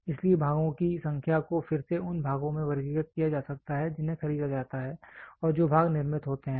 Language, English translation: Hindi, So, number of parts can be again classified into parts which are bought out and parts which are manufactured